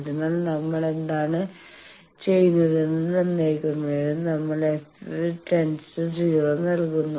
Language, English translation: Malayalam, So, to determine what we do, we put f is equal to 0